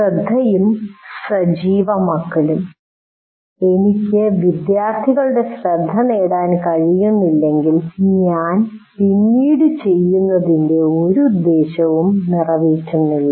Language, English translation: Malayalam, As we already mentioned, attention, if I can't get the attention of the students, whatever that I do subsequently, it doesn't serve any purpose